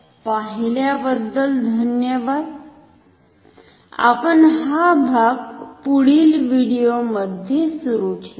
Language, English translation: Marathi, Thank you for watching, we will continue in the next video